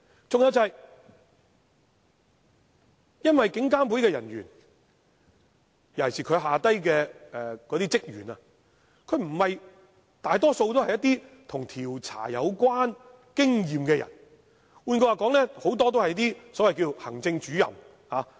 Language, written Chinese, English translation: Cantonese, 再者，監警會人員，尤其是在下層的職員，大多數均不具備調查經驗；換言之，很多人也是所謂行政主任。, Furthermore most of the officers of IPCC especially staff at the lower level do not have any experience in investigation . In other words many of them are the so - called Executive Officers